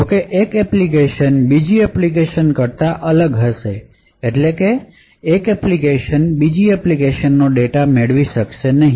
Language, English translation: Gujarati, However, one application is isolated from another application that is one application cannot invoke or access data of another applications